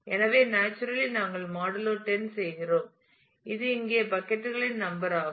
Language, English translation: Tamil, So, naturally since we are doing modulo 10 which is the number of buckets here